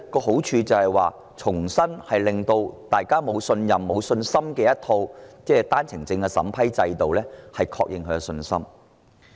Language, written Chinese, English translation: Cantonese, 好處在於讓大家對一套市民不信任、沒信心的單程證審批制度重拾信心。, The merit lies in restoring our confidence in the vetting and approval mechanism of OWPs a mechanism in which the public have no faith or trust